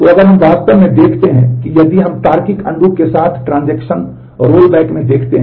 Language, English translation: Hindi, So, if we look into the actual if we if we look into the transaction rollback with logical undo